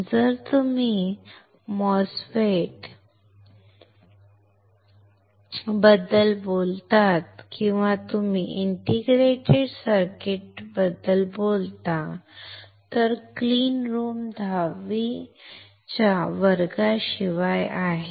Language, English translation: Marathi, If you talk about the MOSFETs or you talk about integrated circuits, then the clean room is about class 10